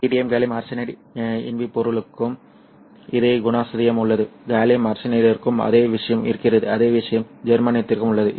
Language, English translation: Tamil, The same characteristic holds for indium gallium arsenide, the same thing holds for gallium arsenide, the same thing also holds for germanium